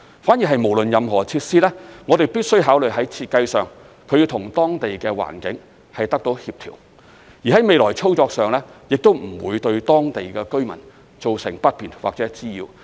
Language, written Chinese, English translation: Cantonese, 反而不論是任何設施，我們必須考慮在設計上，它要與當地的環境協調，而在未來操作上，亦都不會對當地居民造成不便或滋擾。, But rather we must consider the design of the facilities and see whether they can fit into the environment of the area and whether the operation of these facilities will cause any inconvenience or nuisance to the local residents